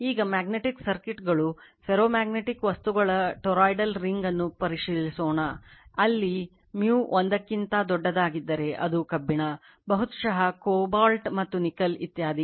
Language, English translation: Kannada, Now, magnetic circuits, now, you consider let us consider a toroidal ring of ferromagnetic material, where mu greater than 1, it maybe iron, it maybe cobalt, and nickel etc right